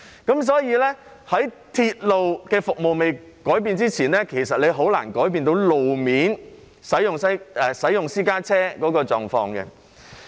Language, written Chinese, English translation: Cantonese, 因此，在鐵路服務未改變以前，其實是很難改變私家車使用路面的狀況。, Therefore before the railway service is changed it is actually difficult to change the condition that private cars take up the roads